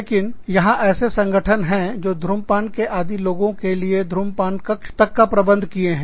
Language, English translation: Hindi, But, there are organizations, that even provide, smoking lounges for people, who are used to smoking